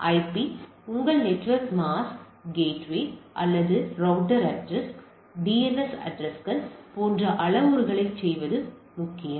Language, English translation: Tamil, So, to say the parameters like IP your network mask gateway or router address, DNS addresses and these are equally important